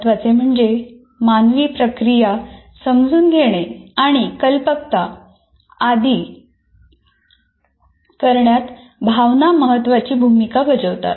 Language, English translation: Marathi, And much more importantly, emotions play an important role in human processing, understanding and creativity